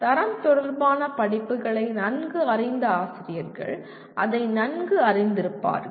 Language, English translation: Tamil, Those of the faculty who are familiar with quality related courses, they will be familiar with that